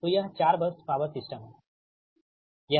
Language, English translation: Hindi, this is a four bus power system, right